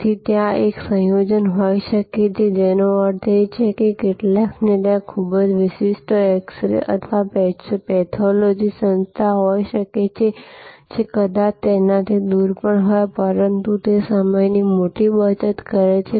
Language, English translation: Gujarati, So, there can be a combination that mean some there can be a very exclusive x ray or a pathology shop, pathology organization, which may be even it a distance, but they save time big